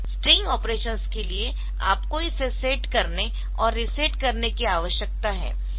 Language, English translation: Hindi, So, for string operations, so you need to set it and reset it